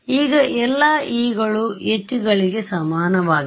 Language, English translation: Kannada, Now, all the e’s are equal to all the h’s